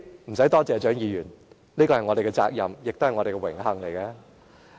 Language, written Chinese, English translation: Cantonese, 無須多謝我，蔣議員，這是我們的責任，亦是我們的榮幸。, You do not have to thank me Dr CHIANG . This is our duty and honour